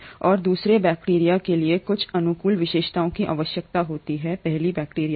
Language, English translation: Hindi, And the second bacteria requires certain favourable features of the first bacteria